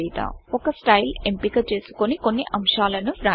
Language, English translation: Telugu, Choose a style and write few points